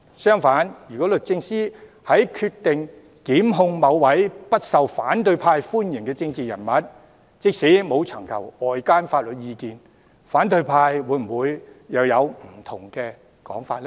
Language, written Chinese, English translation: Cantonese, 相反，如果律政司決定檢控某位不受反對派歡迎的政治人物，即使沒有尋求外間的法律意見，反對派會否又有不同的說法呢？, Conversely if DoJ decides to prosecute a political figure who is unpopular among the opposition would they respond differently even if outside legal advice has not been sought?